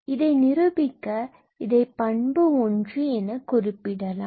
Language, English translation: Tamil, So, let me write it as properties